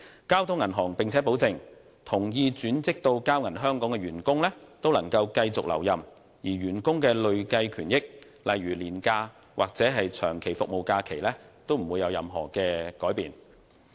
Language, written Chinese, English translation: Cantonese, 交通銀行並且保證，同意轉職至交銀香港的員工均可繼續留任，而員工的累計權益，例如年假或長期服務假期，均不會有任何改變。, Bank of Communications also pledges that all the employees who agree to be transferred to Bank of Communications Hong Kong will be retained . Their accrued benefits including annual leave and long service leave will remain unchanged